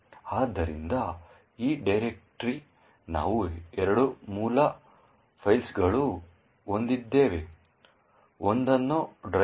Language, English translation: Kannada, So, in this particular directory we would actually have two source files, one is known as the driver